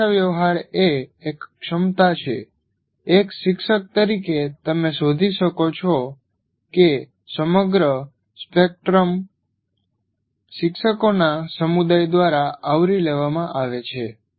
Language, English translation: Gujarati, There is a communicative competence even as a teacher, you can find out the entire spectrum, very poor to very good, entire spectrum is covered by the community of teachers